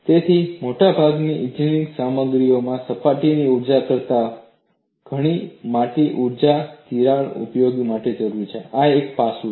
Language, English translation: Gujarati, So, in most engineering materials, energy much larger than the surface energy is required to grow a crack; this is one aspect